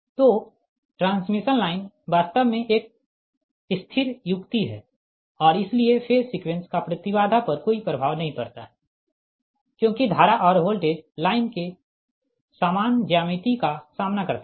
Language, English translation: Hindi, so transmission line actually is a static device and hence the phase sequence has no effect on the impedance because currents and voltage encounter the same geometry of the line